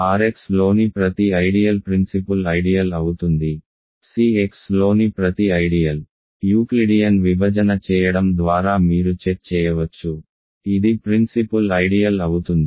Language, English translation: Telugu, Every ideal in R X is principal ideal, every ideal in C X is a principal ideal which you can check by doing Euclidean division